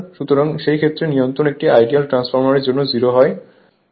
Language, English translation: Bengali, So, in that case regulation is 0 for an ideal transformer